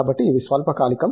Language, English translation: Telugu, So, these are short term